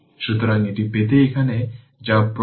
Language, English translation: Bengali, So, to get this what you do apply here K V L